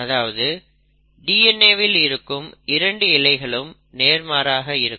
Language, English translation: Tamil, The second thing is that the 2 strands of DNA are antiparallel